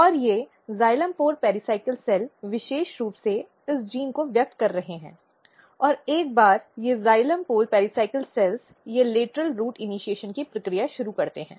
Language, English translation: Hindi, And these xylem pole pericycle cells is very specifically expressing this gene, and what happens once these xylem pole pericycles they start the process of lateral root initiation